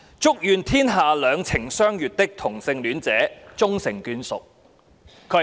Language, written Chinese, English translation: Cantonese, 祝願天下兩情相悅的同性戀者終成眷屬。, May all homosexual couples in love be able to get married